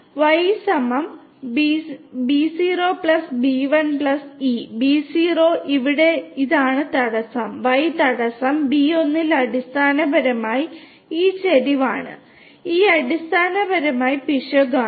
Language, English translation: Malayalam, So, Y = B0 + B1 + e; B0 is this intercept here, Y intercept; B1 is basically this slope and e is basically the error, right